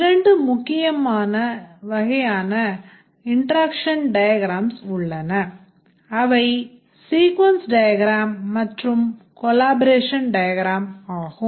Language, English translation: Tamil, We said that there are two main types of interaction diagrams, the sequence diagram and the collaboration diagram